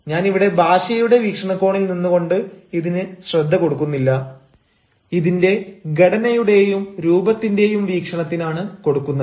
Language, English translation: Malayalam, i mean, i am not going to focus here from the point of view of language, but from the point of view of the structure as well as of format